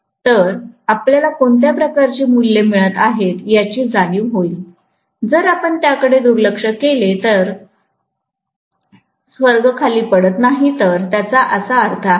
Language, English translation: Marathi, So, that will give you a feel for what kind of values we are getting, if we neglect it heavens are not falling, that is what it means, right